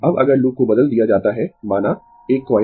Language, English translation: Hindi, Now, if the loop is replaced suppose by a coil